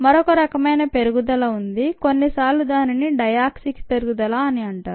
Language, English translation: Telugu, there is another type of growth that is sometimes seen, which is called the diauxic growth